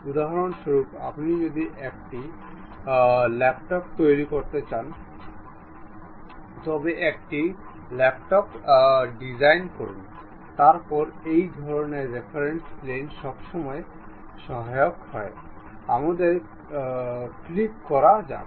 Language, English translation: Bengali, For example, you want to make a laptop, design a laptop; then this kind of reference planes always be helpful, let us click ok